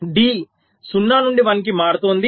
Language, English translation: Telugu, so d will change from one to zero